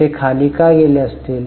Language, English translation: Marathi, Why it would have gone down